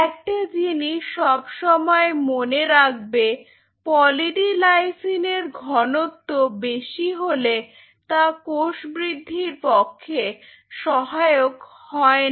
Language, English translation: Bengali, So, always remember one catch about Poly D Lysine is that Poly D Lysine at a higher concentration does not promote cell growth